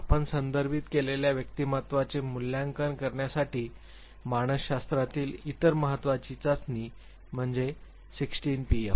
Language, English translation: Marathi, The other important test in a psychology for assessment of personality we have referred to this is 16 PF